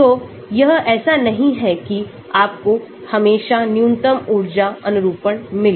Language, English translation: Hindi, So, it is not that you will always find minimum energy conformation